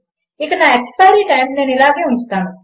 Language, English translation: Telugu, And my expiry time Ill just keep as this